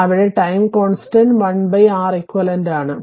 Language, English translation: Malayalam, So, time constant is l upon Req